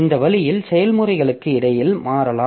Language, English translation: Tamil, So, this way we can have switching between processes